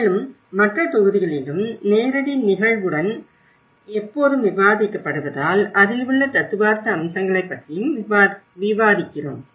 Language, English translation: Tamil, And always discussed in other modules as well along with the live cases, we are also discussing about the theoretical aspects into it